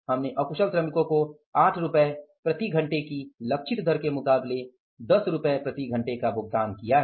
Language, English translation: Hindi, We have paid 10 rupees per hour to the unskilled worker as against the target rate of 8 rupees per hour